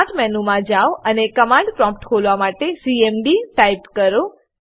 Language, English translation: Gujarati, Go to Start menu and type cmd to open the command prompt